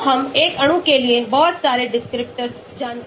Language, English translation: Hindi, so we know a lot of descriptors for a molecule